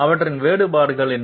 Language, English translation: Tamil, What are their differences